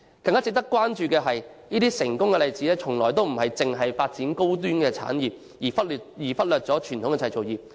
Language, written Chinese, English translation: Cantonese, 更加值得關注的是，這些成功國家的例子從來不是只發展高端產業而忽略傳統製造業。, It is more noteworthy that countries which have attained success have never neglected traditional manufacturing industries when developing high - end industries